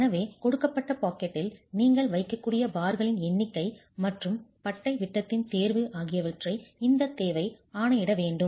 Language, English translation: Tamil, So this requirement should dictate number of bars you will actually be able to place within a given pocket itself and choice of bar diameter